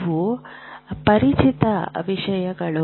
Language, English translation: Kannada, These are familiar things